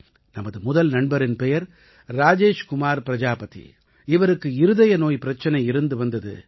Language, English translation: Tamil, Our first friend is Rajesh Kumar Prajapati who had an ailment of the heart heart disease